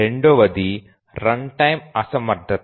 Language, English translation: Telugu, The second is runtime inefficiency